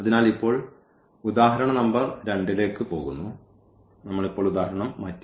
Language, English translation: Malayalam, So, now going to the example number 2, we have changed the example now